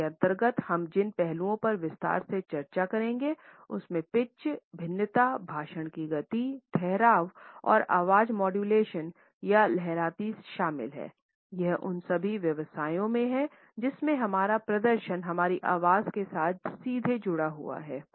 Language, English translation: Hindi, The aspects which we would discuss in detail under it includes pitch, variation, speed of speech, pause and voice modulation or waviness in all those professions where our performance is directly linked with our voice